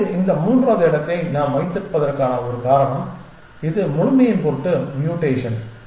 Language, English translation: Tamil, Now, which is one of the reasons why we have this third space which is mutation for the sake of completeness